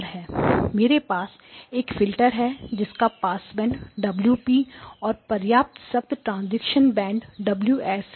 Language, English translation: Hindi, I had a filter which had a passband Omega P and a fairly tight transition band to Omega S